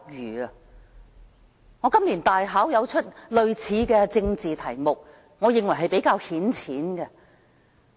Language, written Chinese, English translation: Cantonese, 我在今年的大考出過類似的政治題目，我認為是比較顯淺。, In setting this years final examination I have picked a similar political topic which I think is relatively simple